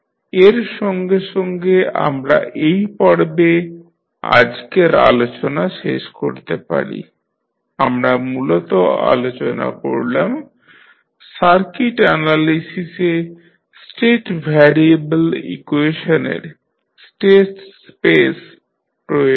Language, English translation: Bengali, So, with this we can close our today’s discussion in this session we discussed mainly about the application of state variable equations in the circuit analysis